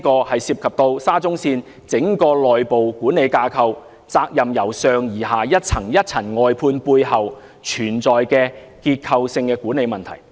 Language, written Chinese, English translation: Cantonese, 這涉及沙中線整個內部管理架構，責任由上而下層層外判的背後，存在結構性的管理問題。, The incident involves the overall internal management structure of SCL and there exist structural problems in the management as the responsibilities have been contracted out from top to bottom